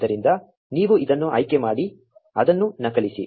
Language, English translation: Kannada, So, you select this, copy it